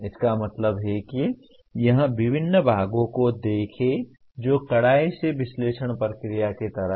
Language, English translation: Hindi, That means here look at the various parts which is strictly like analysis process